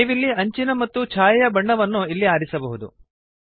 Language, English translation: Kannada, You can choose the colour of the border and the shadow as well